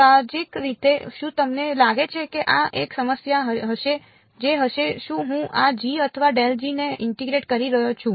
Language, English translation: Gujarati, Intuitively do you think this will be a problem what is, am I integrating g or grad g